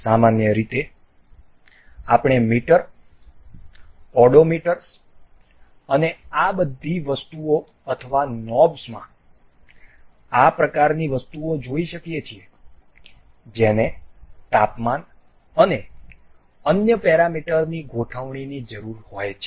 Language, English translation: Gujarati, Generally, we can see such kind of things in meters, the odometers and all these things or knobs that required setting of temperatures and other parameters